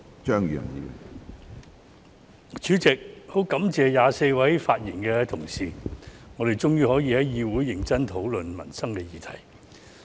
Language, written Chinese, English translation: Cantonese, 主席，我感謝24位發言的同事，我們終於可以在議會認真討論民生議題。, President I would like to thank the 24 Members who have spoken . We can finally discuss livelihood issues seriously in the legislature